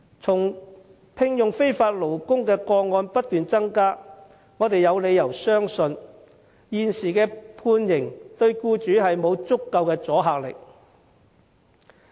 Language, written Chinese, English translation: Cantonese, 從聘用非法勞工的個案不斷增加，我們有理由相信現時的判刑對僱主沒有足夠的阻嚇力。, As cases involving the employment of illegal workers keep increasing in number we have reasons to believe that the deterrent effect of the existing penalty on employers is insufficient